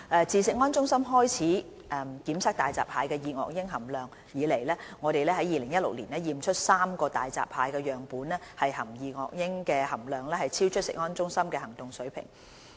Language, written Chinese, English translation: Cantonese, 自食安中心開始檢測大閘蟹的二噁英含量以來，我們於2016年檢出3個大閘蟹樣本二噁英含量超出食安中心的行動水平。, Since CFS started testing dioxins in hairy crabs three hairy crab samples were detected to have dioxins level exceeded CFS action level in 2016